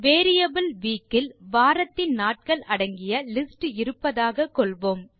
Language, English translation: Tamil, Lets say the variable week has the list of the names of the days of the week